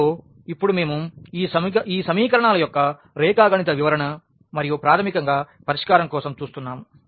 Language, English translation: Telugu, And, now we look for the geometrical interpretation of these equations and the solution basically